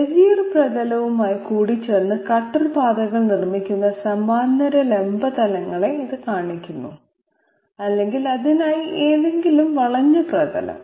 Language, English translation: Malayalam, It shows those parallel vertical planes which are producing cutter paths by intersection with the Bezier surface or for that matter any curved surface